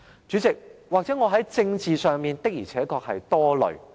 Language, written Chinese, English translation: Cantonese, 主席，也許我在政治上，的而且確是多慮的。, President perhaps politically speaking I really have a lot of worries